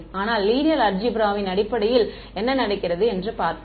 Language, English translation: Tamil, But let us see what it what happens in terms of linear algebra